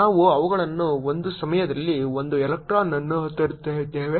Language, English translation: Kannada, however, we are not breaking up electrons, we are bringing in them one electron at a time